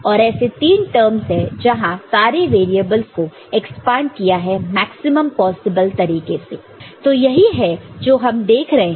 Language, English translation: Hindi, And this there are three such terms where all the variables expanded to the in the maximum possible way that is what we see, ok